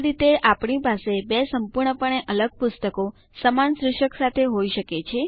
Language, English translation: Gujarati, This way, we can have two completely different books with the same title